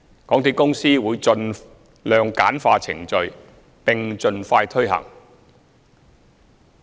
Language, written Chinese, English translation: Cantonese, 港鐵公司會盡量簡化程序，並盡快推行計劃。, MTRCL will streamline the procedures by all means and launch the scheme as soon as possible